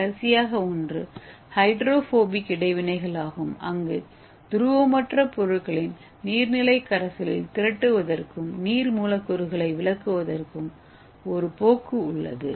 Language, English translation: Tamil, The last one is the hydrophobic interactions that means the tendency of non polar substance to aggregate in aqueous solution and exclude the water molecules, okay